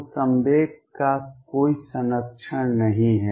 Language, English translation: Hindi, So, there is no conservation of momentum